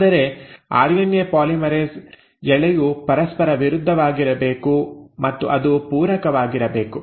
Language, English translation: Kannada, But the RNA polymerase, the strand has to be antiparallel, and it has to be complementary